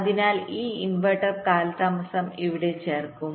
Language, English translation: Malayalam, so this inverter delay will get added here